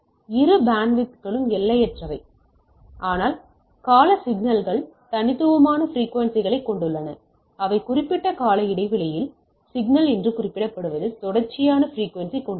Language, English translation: Tamil, So, both bandwidths are infinite, but the periodic signals has discrete frequencies, which referred as the non periodic signal has continuous frequency right